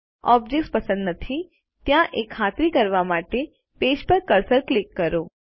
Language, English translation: Gujarati, Click the cursor on the page, to ensure no objects are selected